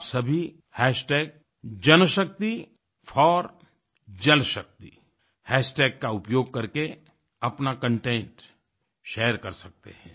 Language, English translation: Hindi, You can all share your content using the JanShakti4JalShakti hashtag